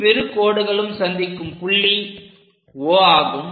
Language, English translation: Tamil, The intersecting point is O this point is A